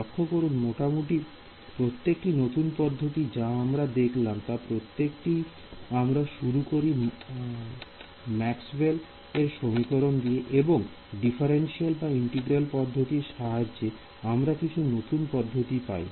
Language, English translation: Bengali, See notice that, in almost not almost in every single new method that we come across, we always just start from Maxwell’s equations and either take it through a differential route or a integral route and then different methods come from them